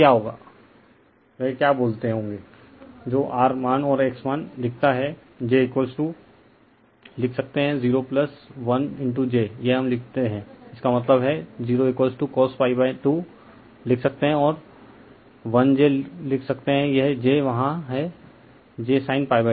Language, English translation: Hindi, So, what is the what will be the your what you call that R value and X value look , j is equal to you can write , 0 plus 1 into j this we write; that means, 0 is equal to you can write cos pi by 2 , right and 1 you can write j this j is there j sin pi by 2 right